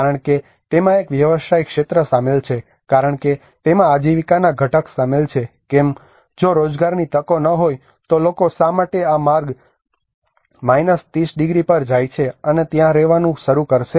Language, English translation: Gujarati, Because there is a business sector involved in it because there is a livelihood component involved in it why would people go all the way to 30 degrees and start living there if there is no employment opportunities